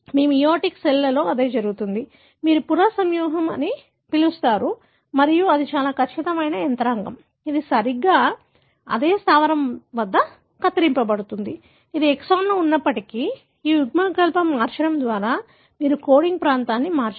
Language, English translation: Telugu, That is what happens in your meioticcells, what you call as recombination and this is so precise mechanism, it exactly cuts at the same base, even if it is within an exon, by changing this allele, you do not alter the coding region